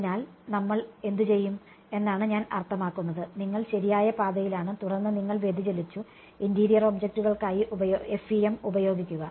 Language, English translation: Malayalam, So, what we will do is I mean, you are on the right track and then you deviated, use FEM for the interior objects